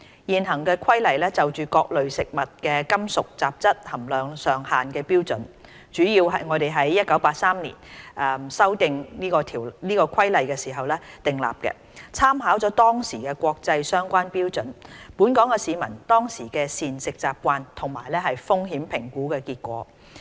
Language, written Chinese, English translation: Cantonese, 現行《規例》就各類食物的金屬雜質含量上限的標準，主要是我們在1983年修訂該《規例》時訂立的，參考了當時的國際相關標準、本港市民當時的膳食習慣，以及風險評估結果。, 132V regulate the levels of metallic contamination in food . In the existing Regulations the standards for maximum levels of metallic contaminants in various foodstuffs were mainly established when the Regulations were amended in 1983 having taken into account the then prevalent international standards dietary habits of the local population and the results of risk assessment studies